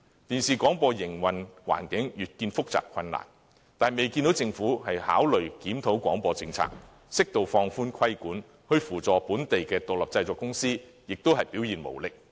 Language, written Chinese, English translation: Cantonese, 電視廣播的營運環境越見複雜困難，卻未見政府考慮檢討廣播政策，適度放寬規管，在扶助本地獨立製作公司方面又表現無力。, The business environment of television broadcasting is getting increasingly complicated and difficult while the Government has no plan to review the broadcasting policy for an appropriate relaxation in regulation and provides only less than effective support for local independent production concerns